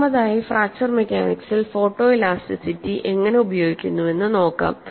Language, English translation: Malayalam, First of all, let us look at how photo elasticity is using fracture mechanics